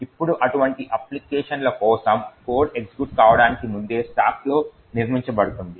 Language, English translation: Telugu, Now for such applications the code gets constructed on the stack before it gets executed